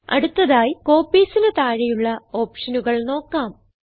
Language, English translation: Malayalam, Next, lets look at the options available under Copies